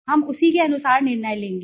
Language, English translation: Hindi, we will decide accordingly